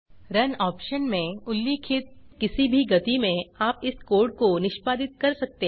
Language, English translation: Hindi, You can execute this code at any of the speeds specified in the Run option